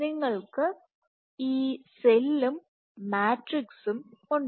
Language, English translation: Malayalam, So, you have this cell, you have the matrix